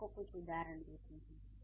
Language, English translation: Hindi, I'll give you a few examples